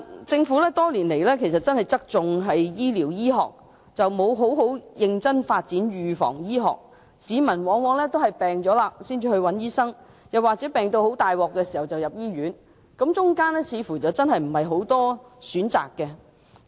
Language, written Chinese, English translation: Cantonese, 政府多年來側重於醫療醫學，沒有認真發展預防醫學，市民往往在患病時才求診，又或在病入膏肓時入院，其間似乎沒有太多選擇。, Over all these years the Government has tilted towards treatment medicine without seriously developing preventive medicine . People very often seek medical consultation only when they fall ill or are admitted to hospital in case of serious illnesses . It looks like they do not have many options in between